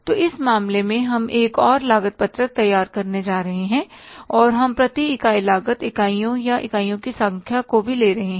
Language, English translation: Hindi, So, in this case, we are going to prepare another cost sheet and we are treating the per unit cost also, number of units or units